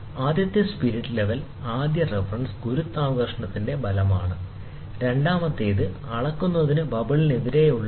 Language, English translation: Malayalam, So, the first spirit level the first reference is effect of gravity, and the second one is scale against the bubble in reading